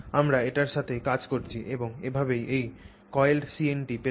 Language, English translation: Bengali, So, that is what we are dealing with and that's how you get these coiled CNTs